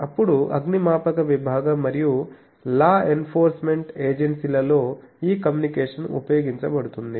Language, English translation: Telugu, Then communication by fire department and law enforcement agencies etc